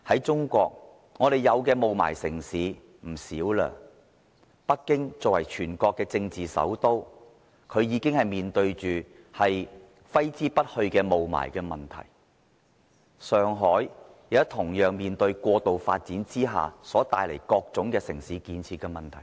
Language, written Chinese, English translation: Cantonese, 中國有不少霧霾城市，而作為全國政治首都的北京，已經面對揮之不去的霧霾問題；上海現時同樣面對過度發展之下所帶來各種城市建設的問題。, Many cities in China are haunted by the problem of smog and the centre of politics and capital of China Beijing is no exception as the problem is impossible to get rid of . Shanghai is also facing all sorts of urban construction problems brought about by excessive development